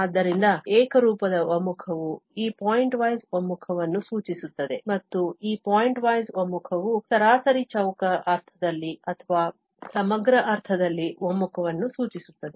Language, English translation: Kannada, So, uniform convergence implies this pointwise convergence and this pointwise convergence implies convergence in the mean square sense or in the integral sense